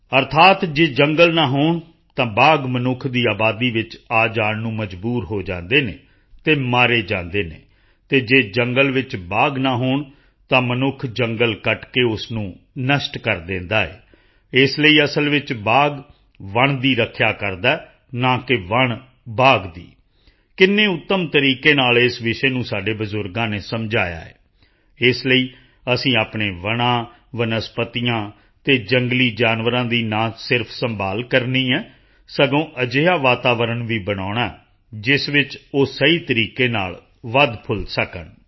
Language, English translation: Punjabi, That is, if there are no forests, tigers are forced to venture into the human habitat and are killed, and if there are no tigers in the forest, then man cuts the forest and destroys it, so in fact the tiger protects the forest and not that the forest protects the tiger our forefathers explained this great truth in a befitting manner